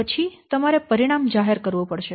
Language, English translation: Gujarati, So then finally you have to publish the result